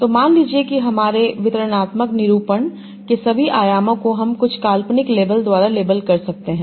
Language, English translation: Hindi, So suppose all the dimensions in my distributed representation I can label by some hypothetical labels